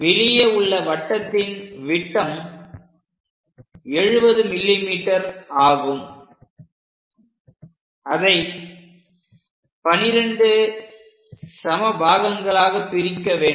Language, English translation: Tamil, For this outer circle, the diameter is 70 mm; one has to divide into 12 equal parts